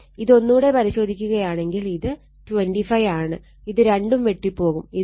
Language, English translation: Malayalam, So, it is 25, so, this is cancelled right, and this is 2